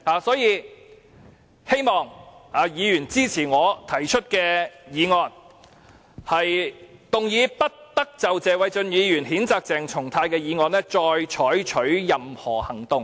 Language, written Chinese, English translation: Cantonese, 所以，希望議員支持我提出的議案，"不得就謝偉俊議員動議的譴責議案再採取任何行動"。, Hence I hope Members will support the motion That no further action shall be taken on the censure motion moved by Mr Paul TSE proposed by me